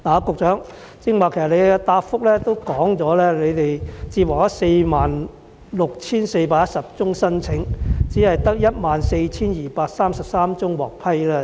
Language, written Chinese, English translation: Cantonese, 局長在主體答覆中表示，共接獲46411宗申請，只有14233宗獲批。, The Secretary said in the main reply that among a total of 46 411 applications received only 14 233 have been approved